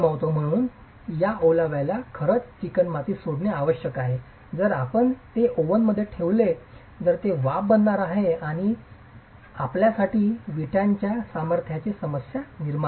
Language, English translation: Marathi, So, this excess moisture actually needs to leave the clay otherwise if you put it right into the oven, that's going to become steam and create problems for you in the strength gain of the brick itself